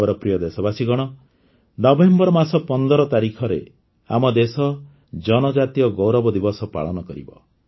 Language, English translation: Odia, My dear countrymen, on the 15th of November, our country will celebrate the Janjateeya Gaurav Diwas